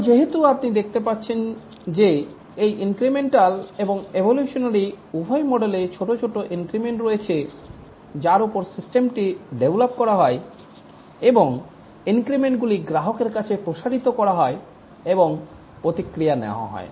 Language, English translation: Bengali, Because as I can see that in both these models incremental and evolutionary, there are small increments over which the system is developed and these increments are deployed at the customer site and feedback obtained